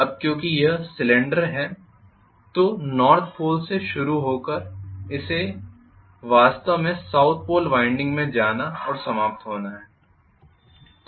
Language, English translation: Hindi, Now because it is a lap winding whatever start from North Pole it has to actually go and end up in a South Pole winding